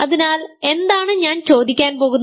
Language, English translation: Malayalam, So, what am I asking